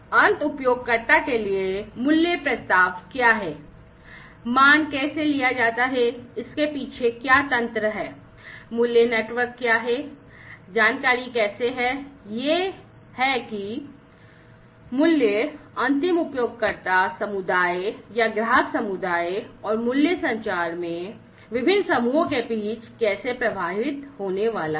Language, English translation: Hindi, So, to the end user what is the value proposition, how the value is captured, what is the mechanism behind it, what is the value network, how the information, is how the value are going to flow between the different groups in the end user community or the customer community, and the value communication